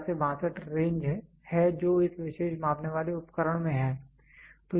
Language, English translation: Hindi, It is 12 to 62 is the range which is there in this particular measuring device